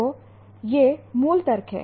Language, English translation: Hindi, So, this is what the basic logic is